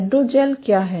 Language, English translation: Hindi, What are hydrogels